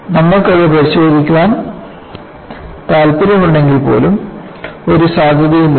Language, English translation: Malayalam, Even if you want to inspect it, there was no provision